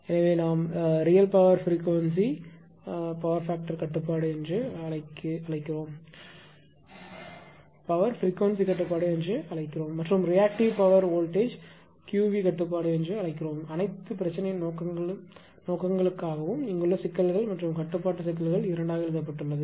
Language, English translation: Tamil, So, that is why the real power frequency we call P f control right and the reactive power voltage we call q v control it is magnitude written here right problems and decoupled control problems for the all practical purposes right